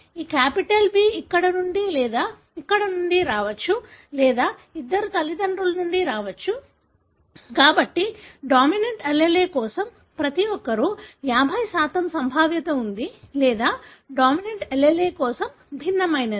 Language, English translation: Telugu, Because this capital B can come from here or from here or both can come from both parents, so therefore there is a 50% probability for each one of the individual that they are homozygous for the dominant allele or heterozygous for the dominant allele